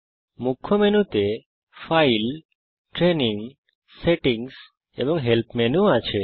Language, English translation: Bengali, The Main menu comprises the File, Training, Settings, and Help menus